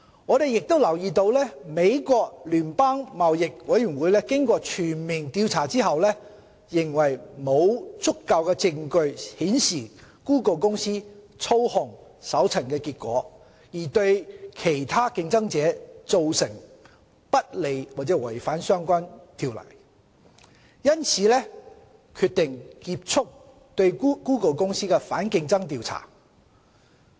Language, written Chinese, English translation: Cantonese, 我們亦留意到美國聯邦貿易委員會經過全面調查後，認為沒有足夠證據顯示谷歌公司操控搜尋結果，而對其他競爭者造成不利或違反相關法例，因此決定結束對谷歌公司的反競爭調查。, We also note that subsequent to a comprehensive investigation the United States Federal Trade Commission USFTC considered that there was insufficient evidence that Google Inc had manipulated its search results to unfairly disadvantage its competitors or violated the relevant laws . It therefore decided to close its investigation into anticompetitive conduct by Google Inc